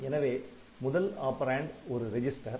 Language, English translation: Tamil, First operand and the result must be register